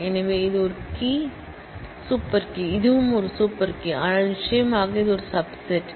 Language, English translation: Tamil, So, the idea is like this that this is a key, super key, this is also a super key, but certainly this is a subset of this